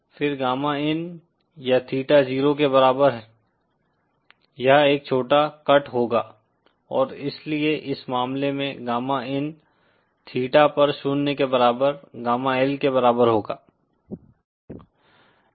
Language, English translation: Hindi, Then gamma in or theta equal to Zero, this will a straight cut short and so that In that case gamma in at theta equal to zero will be equal to gamma L